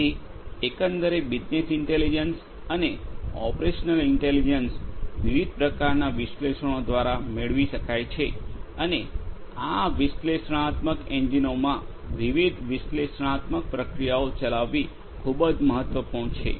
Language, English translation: Gujarati, So, overall business intelligence and operational intelligence can be derived through different types of analytics and running different analytical processes in these analytics engines is very important